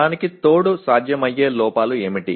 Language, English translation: Telugu, In addition to that what are the possible errors